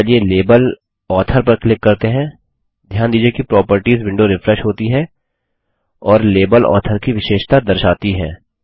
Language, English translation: Hindi, Now let us click on the label author, notice that the Properties window refreshes and shows the properties of label Author